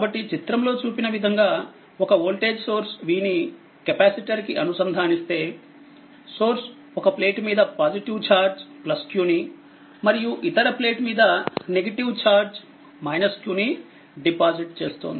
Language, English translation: Telugu, So, from the above explanation we say that where a voltage source v is connected to the capacitor, the source deposit a positive charge q on one plate and the negative charge minus q on the other plate as shown in this figure